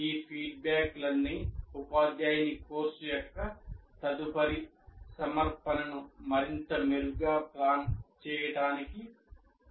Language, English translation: Telugu, And all these feedbacks based on this will act, will facilitate the teacher to plan the next offering of the course much better